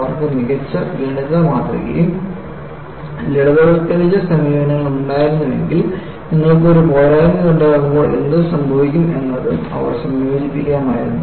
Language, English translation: Malayalam, If they had better mathematical model and simplified approaches, they would have also incorporated what happens when you have a flaw